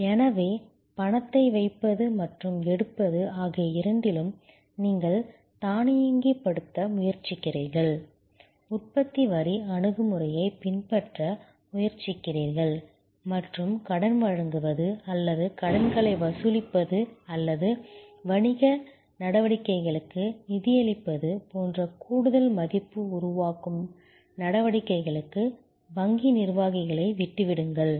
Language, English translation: Tamil, So, both putting in and take out money, you try to automate, try to adopt the production line approach and leave the bank executives for more value generating activities like giving loans or collecting loans or financing of business activities and so, on